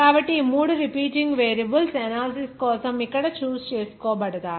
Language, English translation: Telugu, So these three repeating variables will be chooses here for the analysis